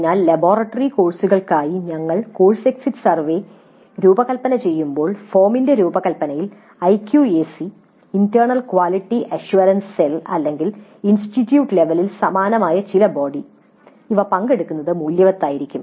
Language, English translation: Malayalam, So when we are designing the course exit surveys for the laboratory courses it may be worthwhile having IQAC participate in the design of the form, the internal quality assurance help or some similar body which exists at the institute level if that body participates in the design of exit survey form there are certain advantages